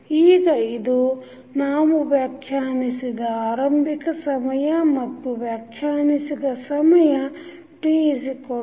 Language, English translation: Kannada, Now, this what we have defined when initial time is defined time t is equal to 0